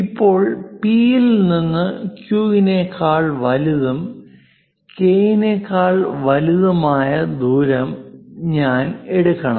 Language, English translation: Malayalam, Now, from P; a distance I have to pick greater than Q, greater than K